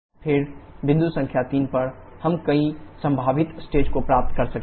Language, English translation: Hindi, Then at point number 3 we can get several possible states